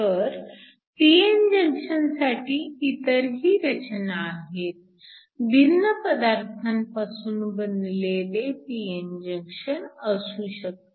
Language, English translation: Marathi, So, You can also have other designs for p n junctions; So, you can also have a p n junction between different materials